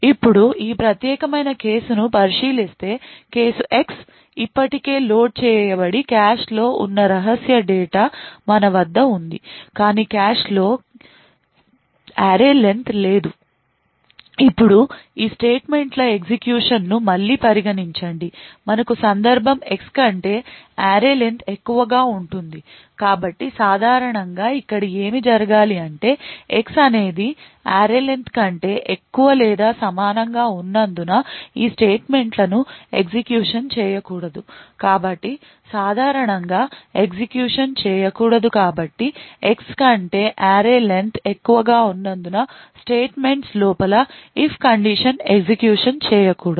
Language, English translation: Telugu, Now consider the this particular case we would assume the case where X has already been loaded into the cache and we have the secret data already present in the cache but the array len is not present in the cache now consider again the execution of these statements but consider the case that we have X is greater than array len so typically in what should happen over here is that since X is greater than or equal to array len these statements inside the if should not be executed so typically since X is greater than array len the statements inside this if condition should not be executed